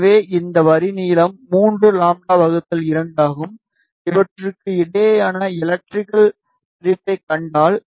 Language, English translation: Tamil, So, this line length is 3 lambda by 2, if you see the electrical separation between these